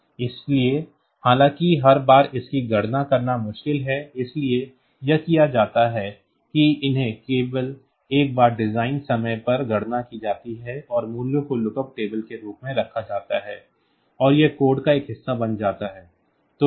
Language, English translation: Hindi, So though it is difficult to compute it every time; so, what is done is that they are computed once only at the design time and the values are kept as lookup table and that that becomes a part of the code